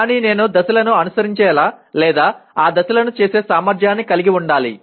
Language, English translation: Telugu, But I should have the ability to follow the, or perform those steps, sequence of steps